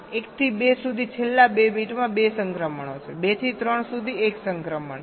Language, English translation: Gujarati, there are two transitions in the last two bits from two to three